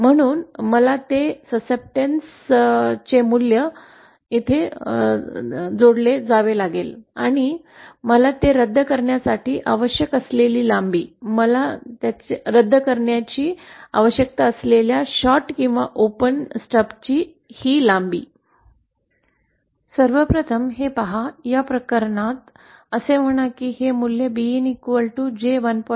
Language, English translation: Marathi, So that succeptance value I have to connect here and the length that I would need for cancelling that, this length of the shorted or open stub that I would need for cancelling wouldÉ First of all, see this is, say in this case this is J 1